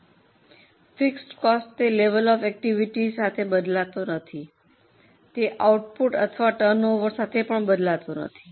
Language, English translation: Gujarati, These are the costs which do not change with level of activity or do not change with output or with the turnover